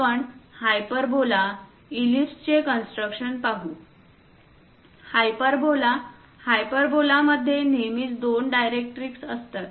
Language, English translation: Marathi, We will see the typical construction of this hyperbolaellipse, hyperbola; hyperbola always be having two directrix